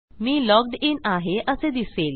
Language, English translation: Marathi, So my user is logged in